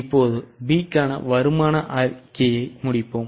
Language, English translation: Tamil, Now let us complete the income statement for P